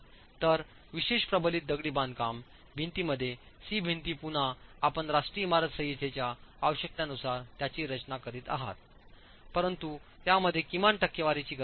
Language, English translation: Marathi, Whereas in the specially reinforced masonry walls, type C walls, you again you are designing them as per the requirements of the National Building Code, but there are minimum percentages of steel that are required